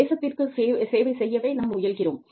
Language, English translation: Tamil, We are trying to serve the nation